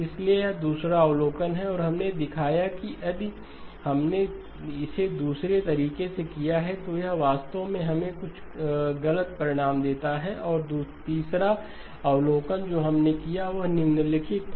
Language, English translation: Hindi, So that is the second observation and we showed that if we did it in the other order then it actually gave us some erroneous results and the third observation that we made was the following